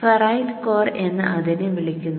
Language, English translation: Malayalam, You see that this is a ferrite core